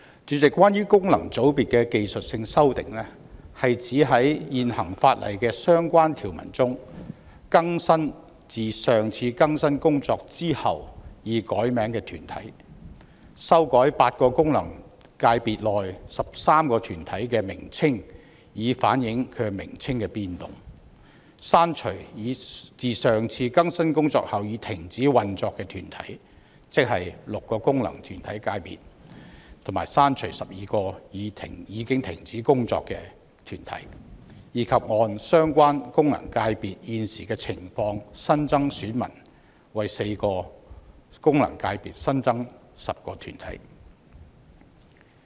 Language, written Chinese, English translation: Cantonese, 主席，關於功能界別的技術性修訂，是指在現行法例的相關條文中更新自上次更新工作後已改名的團體，修改8個功能界別內13個團體的名稱以反映其名稱的變動；刪除自上次更新工作後已停止運作的團體，即從6個功能界別刪除12個已停止運作的團體，以及按相關功能界別現時的情況新增選民，即為4個功能界別新增10個團體。, President technical amendments concerning FCs refer to updating the names of corporates specified under relevant sections of the existing legislation that have had their names changed since the last updating exercise namely revising the names of 13 corporates within eight FCs to reflect their name changes; removing corporates which have ceased operation since the last updating exercise namely removing 12 corporates which have ceased operation from six FCs; and adding new electors in the light of the prevailing situation of the FCs concerned namely adding 10 corporates for four FCs